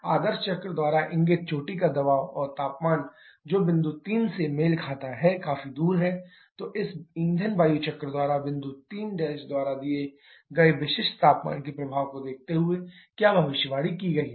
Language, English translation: Hindi, The peak pressure and temperature predicted by the ideal cycle which corresponds to point 3 is quite far off then what is been predicted by this fuel air cycle considering the effect of specific heat given by point 3 prime